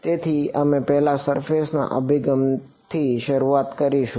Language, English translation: Gujarati, So, we started with the surface approach first what